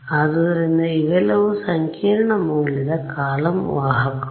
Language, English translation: Kannada, So, all of these are complex valued column vectors, straightforward